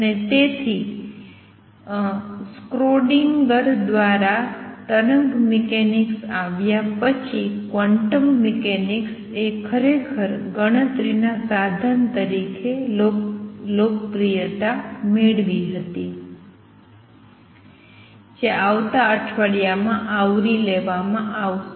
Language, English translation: Gujarati, And therefore quantum mechanics really gained popularity as a calculation tool after wave mechanics by Schrödinger came along which will be covering in the next week